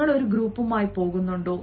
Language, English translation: Malayalam, do you go with a group